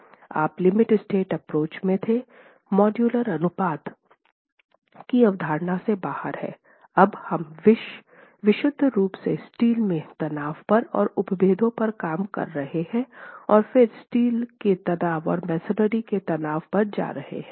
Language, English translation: Hindi, Mind you where in the limit state approach, the concept of modular ratio is out of the picture now when we are working purely on steel stresses and we are working on strains and then moving onto the steel stresses and the masonry stresses